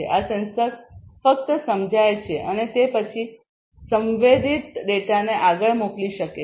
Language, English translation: Gujarati, These sensors can only sense and then send the sensed data forward